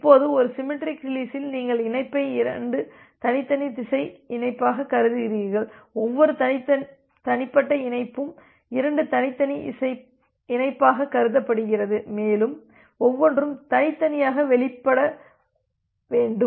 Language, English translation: Tamil, Now, in case of a symmetric release you treat the connection as two separate unidirectional connection, every individual connection is treated as two separate unidirectional connection and it requires that each one to be released separately